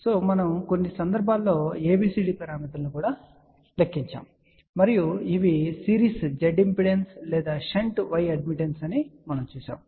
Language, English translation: Telugu, And then we actually calculated abcd parameters for a few cases and these were series z impedance or shunt y admittance